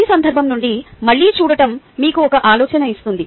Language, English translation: Telugu, just looking at it again from this context would give you an idea